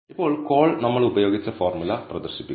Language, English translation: Malayalam, Now, call displays the formula which we have used